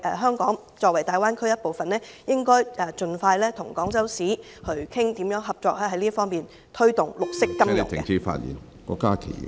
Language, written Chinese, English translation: Cantonese, 香港作為大灣區一部分，應該盡快與廣州市討論這方面如何合作，推動綠色金融......, Being a part of the Greater Bay Area Hong Kong should expeditiously discuss with Guangzhou how to promote green finance together